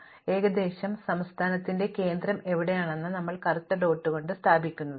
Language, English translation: Malayalam, So, roughly where the state, center of the state we place this black dot